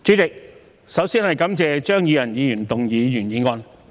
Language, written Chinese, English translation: Cantonese, 主席，我首先感謝張宇人議員動議原議案。, President I first thank Mr Tommy CHEUNG for moving the original motion